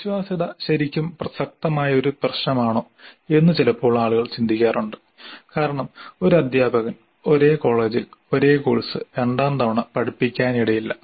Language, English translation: Malayalam, Now sometimes people do wonder whether reliability is really a relevant issue because a teacher may not teach the same course second time in the same college